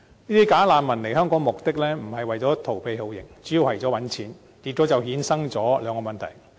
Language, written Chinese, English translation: Cantonese, 這些"假難民"來香港的目的，並不是為逃避酷刑，而主要是為賺錢，結果就衍生出兩個問題。, As the purpose of such bogus refugees who come to Hong Kong is not to evade torture but mainly to make money two problems have resulted . The first is the emergence of illegal workers